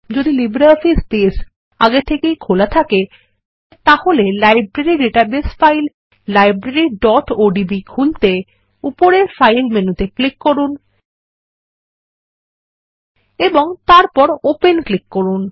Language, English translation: Bengali, If LibreOffice Base is already open, Then we can open the Library database file Library.odb by clicking on the File menu on the top and then clicking on Open